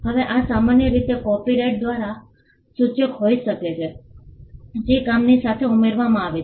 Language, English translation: Gujarati, Now this could normally be signified by a copyright notice that is adduced along with the work